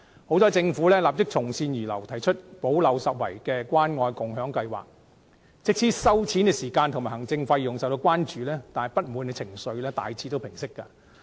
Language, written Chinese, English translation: Cantonese, 幸好政府立即從善如流，提出補漏拾遺的關愛共享計劃，即使收錢時間及行政費用受到關注，但不滿情緒亦大致平息。, Fortunately the Government heeded sound advice immediately and proposed the Caring and Sharing Scheme . Although the payment time and administrative costs did raise some concerns peoples grievances have generally quieted down